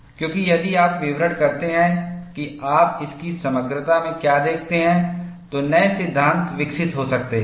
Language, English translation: Hindi, Because, if you report what you observe, in all its totality, new theories can develop